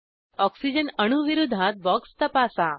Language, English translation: Marathi, Check the box against oxygen atom